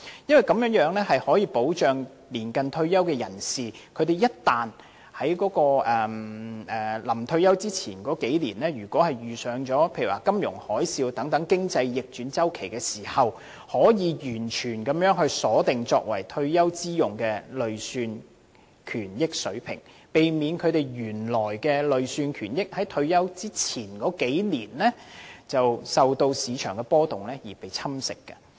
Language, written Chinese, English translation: Cantonese, 此舉可以保障年近退休的人士，一旦他們在退休前的數年間遇上金融海嘯等經濟逆轉周期，便可完全鎖定作為退休之用的累算權益水平，避免他們原來的累算權益在退休前的數年間因市場波動而被侵蝕。, The provision of these products will provide protection for those who are close to retirement age . In the event that they encounter a financial tsunami or an economic downturn cycle a few years before retirement they can be assured that their accrued benefits are completely fixed at the targeted level for their retirement use thereby pre - empting their originally accrued benefits from being eroded by market volatility a few years before their retirement